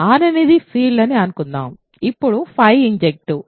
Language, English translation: Telugu, Suppose R is a field then phi is injective ok